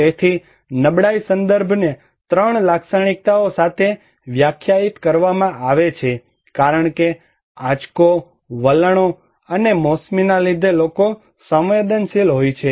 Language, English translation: Gujarati, So, vulnerability context is defined with 3 characteristics that people are at vulnerable because shock, trends, and seasonality